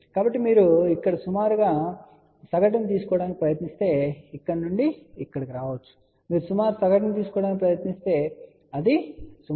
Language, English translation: Telugu, So, if you try to take approximate average of this that may come around this here and then from here to here, you try to take approximate average it will come out to be roughly 60 Ohm